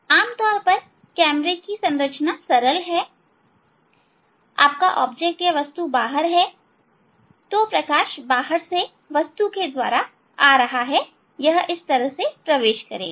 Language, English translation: Hindi, this is the typical simplified structure of the camera, your object is outside, no, so light is coming from the object from outside, it will enter